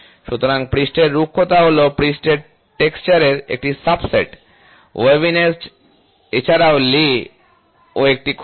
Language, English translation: Bengali, So, surface roughness is a subset of surface texture, waviness yes, lay is also a flaw is also